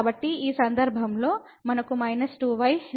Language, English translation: Telugu, So, we will get minus 2 in this case